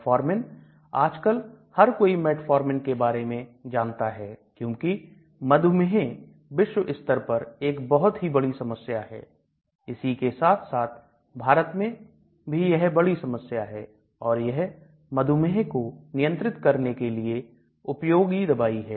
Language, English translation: Hindi, Metformin again everybody nowadays knows about metformin; because diabetes has become a serious problem globally as well as quite a lot in India and it is widely used drug for controlling diabetes